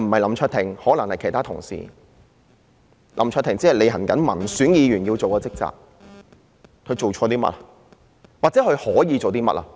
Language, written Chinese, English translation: Cantonese, 林卓廷議員只是履行民選議員的職責，試問他做錯了些甚麼，或是他可以做些甚麼？, Mr LAM Cheuk - ting had only performed his duties as an elected Member . May I ask what he had done wrong or what he could have done?